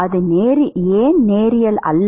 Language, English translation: Tamil, why is it non linear